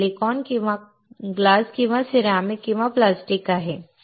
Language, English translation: Marathi, It is silicon or glass or ceramic or plastic